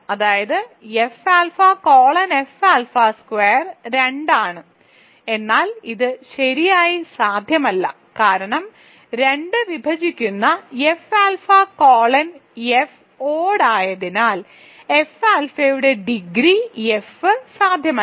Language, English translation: Malayalam, That means, F alpha colon F alpha squared is 2, but this is not possible right because then 2 divides the degree of F alpha over F which is not possible because since F alpha colon F is odd